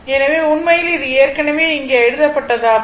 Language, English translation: Tamil, So, that that is actually that is actually what is written here